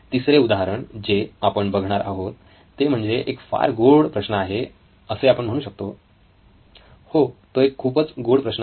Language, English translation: Marathi, The 3rd problem that I am going to cover is a sweet problem as I call it, it’s a very sweet problem